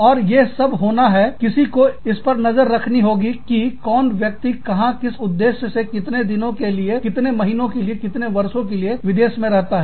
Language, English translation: Hindi, And, all of that has to be, you know, somebody has to keep track of, who is going, where, for what purpose, how many days, how many months, how many years, a person is staying in a foreign country